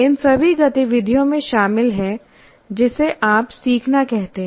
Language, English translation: Hindi, So all these activities are involved in what you call learning